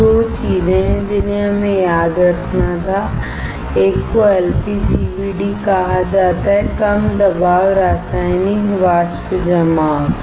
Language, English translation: Hindi, So, there are 2 things that we had to remember: one is called LPCVD Low Pressure Chemical Vapor Deposition